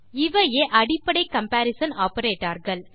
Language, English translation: Tamil, This is the first comparison operator